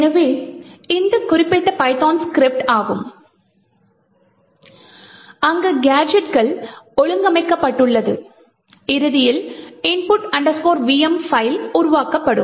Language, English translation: Tamil, So this is the particular python script, you could actually go through it to see how these gadgets are arranged and eventually the file that gets created, this file called input vm